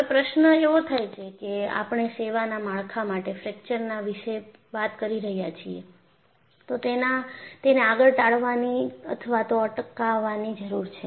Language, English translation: Gujarati, Now the question is we have been talking about fracture of a structure in service needs to be avoided or prevented